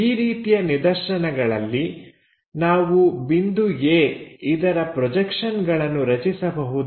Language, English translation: Kannada, If that is the case can we draw projections of this point A